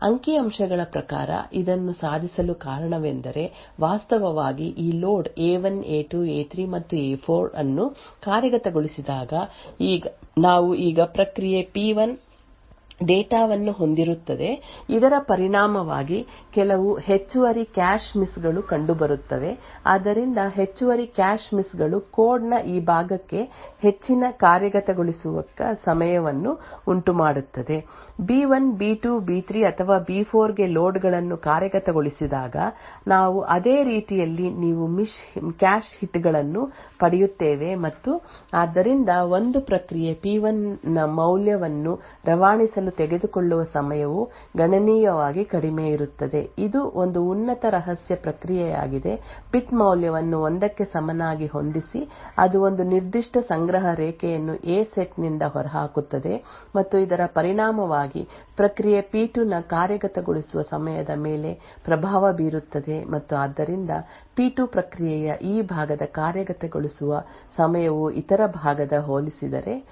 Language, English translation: Kannada, Now if we look at the execution time of these 2 sets of loads what we would see is the time taken for executing these A loads would be greater than the time taken for these B loads statistically again the reason be achieved this is due to the fact that we now have process P1 data present away here as a result when these load A1 A2 A3 and A4 get executed there would be some additional cache misses so that additional cache misses would result in increased execution time for this part of the code on the other hand when the loads to B1 B2 B3 or B4 are executed we similarly we as you shall get cache hits and therefore the time taken would be considerably lesser thus to transmit a value of 1 process P1 which is which for example is a top secret process would set the bit value to be equal to 1 which would then evict one particular cache line from the A set and as a result would influence the execution time of process P2 and therefore execution time for this part of the process P2 would be higher compared to the compared to the other part